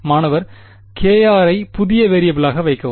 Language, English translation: Tamil, Put k r as the new variable